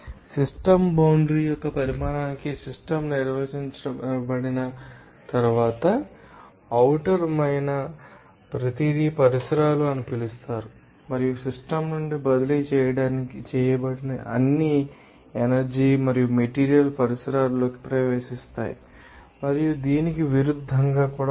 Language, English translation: Telugu, Once the system is defined to the size of a system boundary everything external to eat to be called as the surroundings and all energy and materials that are transferred out of the system entered the surroundings and vice versa and based on this